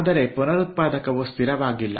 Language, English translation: Kannada, but the regenerator is not fixed